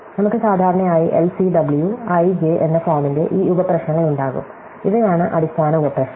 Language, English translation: Malayalam, So, we will typically have these subproblems of the form LCW, i j; these are the basic sub problem